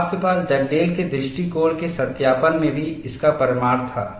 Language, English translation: Hindi, You had that evidence even in your verification of Dugdale’s approach